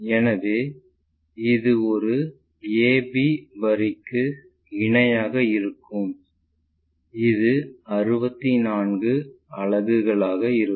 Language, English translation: Tamil, So, this will be parallel to a b line and this will be our 64 units